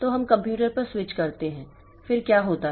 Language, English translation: Hindi, So, we switch on the computer then what happens